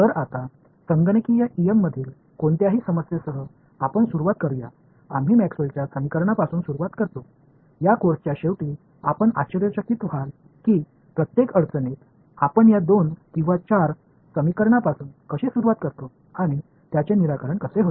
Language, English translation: Marathi, So, now, let us start with as with any problem in computational em we start with Maxwell’s equations right, at the end of this course you will be amazed that how every problem we just start with these two or four equations and we get a solution ok